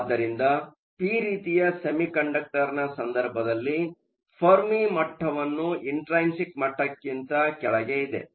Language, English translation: Kannada, So, in the case of a p type semiconductor, you have the Fermi level located below the intrinsic level